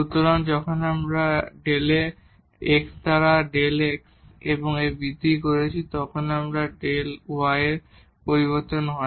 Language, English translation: Bengali, So, when we have made an increment in delta in x by delta x then this is the change in delta y